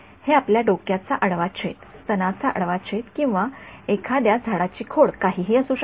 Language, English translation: Marathi, This could be you know cross section of your head, cross section of breast or could be a tree trunk could be anything